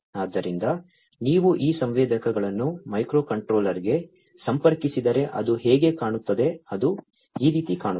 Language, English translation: Kannada, So, this is how it is going to look like if you connect these sensors to the microcontroller’s right, this is how it is going to look like